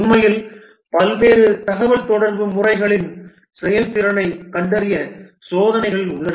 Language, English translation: Tamil, In fact, there were experiments done to find the effectiveness of various communication modes